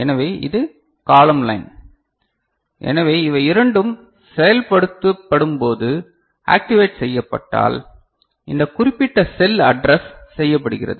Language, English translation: Tamil, So, this is the column line ok so for which when both of them are I mean activated this particular cell is addressed ok